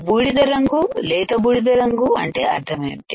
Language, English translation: Telugu, Grey colour light grey what does that mean